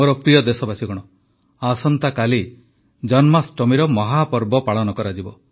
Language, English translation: Odia, tomorrow also happens to be the grand festival of Janmashtmi